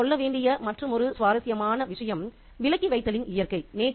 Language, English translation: Tamil, The other very interesting thing to keep in mind is the nature of omissions